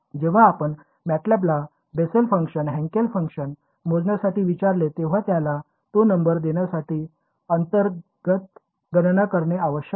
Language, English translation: Marathi, When you ask MATLAB to compute Bessel function Hankel function, it has to do a internal calculation to give you that number